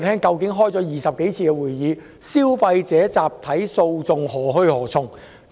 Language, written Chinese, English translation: Cantonese, 經召開20多次會議後，究竟消費者集體訴訟何去何從？, After more than 20 meeting what is going to happen to the class action mechanism for consumers?